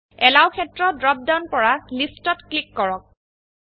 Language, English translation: Assamese, From the Allow field drop down, click List